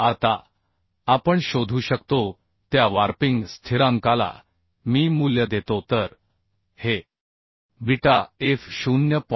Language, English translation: Marathi, 5 Now the Iw value the warping constant we can find out So this will be beta f is 0